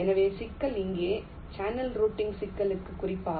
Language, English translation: Tamil, so the problem boils down specifically to the channel routing problem here, right